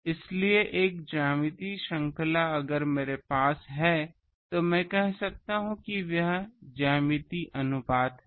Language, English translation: Hindi, So, in a geometric series if I have I can say that it is what is that the geometric ratio